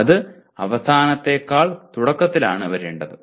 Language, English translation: Malayalam, That ought to have come in the beginning rather than at the end